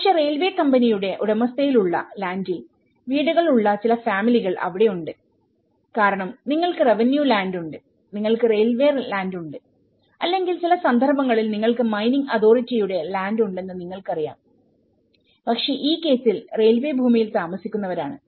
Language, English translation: Malayalam, But, there were also some families whose houses are located on a land that belonged to a railway company because you know, you have the revenue land, you have the railway land or in some cases you have the mining authorities land, so but in this case the people who are residing on the railway land so or to other private individuals